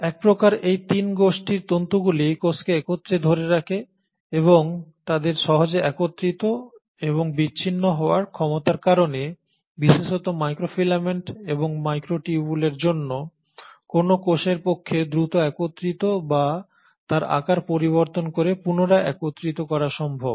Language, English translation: Bengali, So these 3 group of fibres kind of hold the cell together and because of their ability to easily assemble and dissemble, particularly for microfilaments and microtubules, it is possible for a cell to quickly assemble or change its shape and reassemble